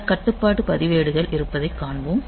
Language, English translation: Tamil, So, they are the control registers